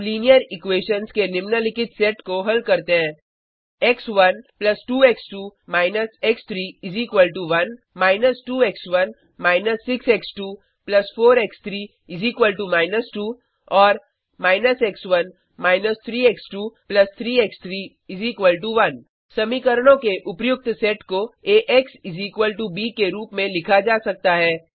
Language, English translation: Hindi, Let us solve the following set of linear equations: x1 + 2 x2 − x3 = 1 −2 x1 − 6 x2 + 4 x3 = −2 and − x1 − 3 x2 + 3 x3 = 1 The above set of equations can be written in the Ax = b form